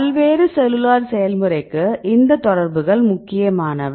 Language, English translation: Tamil, So, these interactions are important right for various cellular process right